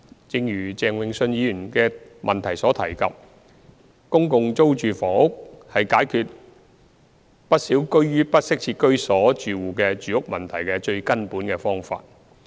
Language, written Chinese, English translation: Cantonese, 正如鄭泳舜議員的質詢提及，公共租住房屋是解決不少居於不適切居所住戶的住屋問題的最根本方法。, As mentioned in Mr Vincent CHENGs question public rental housing PRH is the fundamental solution to addressing the housing needs of many households living in inadequate housing